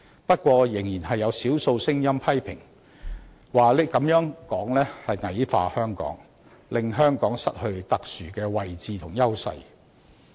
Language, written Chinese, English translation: Cantonese, 不過，仍有少數聲音批評這種說法是矮化香港，令香港失去特殊的位置和優勢。, However there is still a minority voice criticizing the idea as belittling Hong Kong and making Hong Kong lose its unique status and advantages